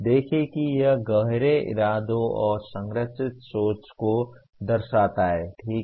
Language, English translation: Hindi, See it refers to the deep intentional and structured thinking, okay